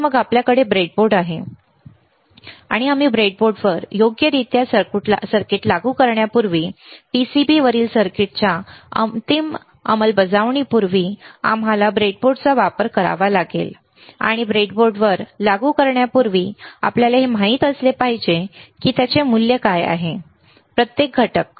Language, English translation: Marathi, And then we have a breadboard, and before we implement a circuit on the breadboard right, before the final implementation of the circuit on the PCB we have to use the breadboard, and before implementing on the breadboard, we should know what is the value of each component